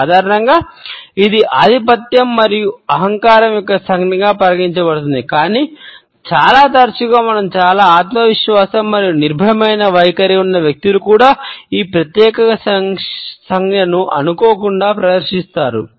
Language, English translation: Telugu, Normally, it is considered to be a gesture of superiority and arrogance, but very often we find that people who are highly self confident and have a fearless attitude also often inadvertently display this particular gesture